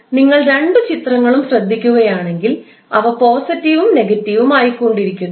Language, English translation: Malayalam, So if you see both of the figures they are going to be alternatively positive and negative